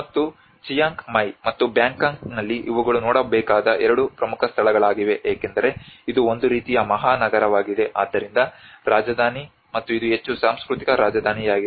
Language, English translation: Kannada, And in Chiang Mai and Bangkok these are the two important places one has to look at it because this is more of a kind of metropolitan, so capital city and this is more of a cultural capital